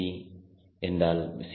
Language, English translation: Tamil, of course, c